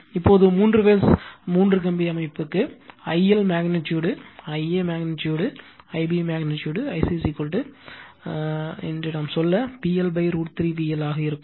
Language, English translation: Tamil, Now, for the three phase three wire system, I L dash will be the magnitude I a magnitude I b magnitude I c is equal to your say P L upon root 3 V L